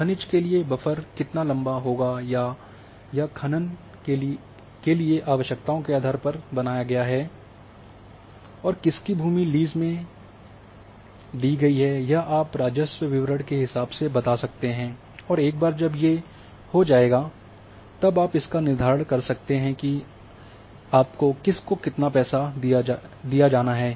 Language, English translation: Hindi, So, along the mineralization a buffer is created depending about the you know the requirements for the mining and whose land will go in that lease can be determine if you are having the revenue records and once that is there, now exactly you know to whom the money has to be given how much and so on so forth